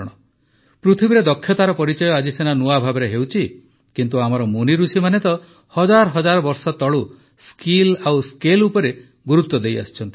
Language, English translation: Odia, Even though skill is being recognized in a new way in the world today, our sages and seers have emphasized on skill and scale for thousands of years